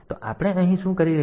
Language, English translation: Gujarati, So, what are we doing here